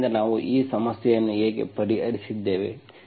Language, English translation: Kannada, So this is how we solved this problem